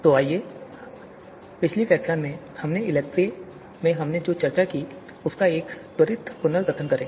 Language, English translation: Hindi, So let us do a quick recap of what we discussed in the in for ELECTRE in the last lecture